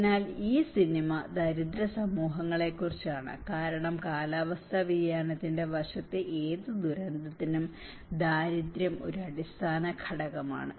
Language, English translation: Malayalam, So, this film is all about the poor communities because the poverty is an underlying factor for any of disaster in the climate change aspect